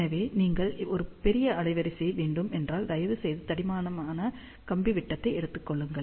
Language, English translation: Tamil, So, if you want a larger bandwidth, please take thicker wire diameter